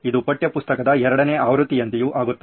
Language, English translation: Kannada, It also becomes like a second version of the textbook